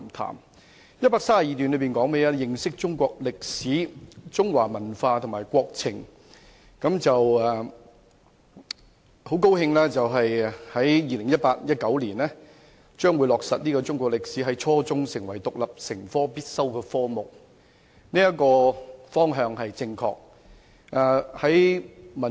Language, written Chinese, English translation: Cantonese, 第132段的標題是"認識中國歷史、中華文化及國情"，很高興在 2018-2019 年度中國歷史將落實在初中成為獨立必修科，這方向是正確的。, The heading of paragraph 132 is Understanding Chinese history and culture and developments of our country . I am glad that Chinese history will become an independent compulsory subject for the junior secondary level in the 2018 - 2019 school year as it is the right direction to take